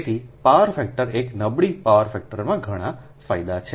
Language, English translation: Gujarati, therefore power factor is an poor power factor has lot of disadvantages